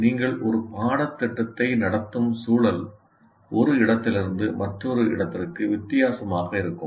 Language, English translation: Tamil, So the context in which you are conducting a course will be different from one place to the other